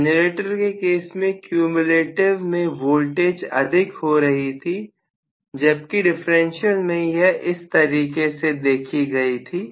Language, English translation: Hindi, In generator, cumulative was becoming flatter or higher in terms of voltage and so on whereas here differential will essentially behave that way